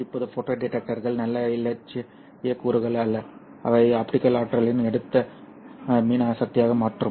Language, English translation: Tamil, Now photo detectors are not nice ideal components which will just take optical energy and convert that into electrical energy